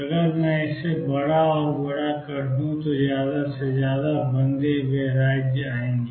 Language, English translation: Hindi, If I make it larger and larger more and more bound states will come